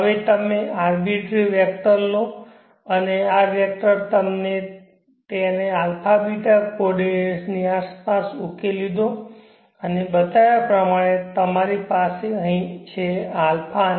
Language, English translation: Gujarati, Now you take an arbitrary vector, and this vector let us resolve it around the a beeta coordinates and you have here a and beeta as shown